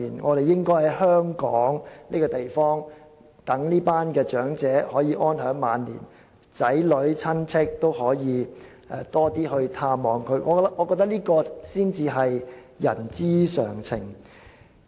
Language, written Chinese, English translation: Cantonese, 當局應該讓這些長者在香港安享晚年，鼓勵他們的子女和親戚多些探望，我認為這才是人之常情。, The authorities should enable such elderly people to live happily in Hong Kong during their twilight years and encourage their children and relatives to visit them more often . I think this is rather reasonable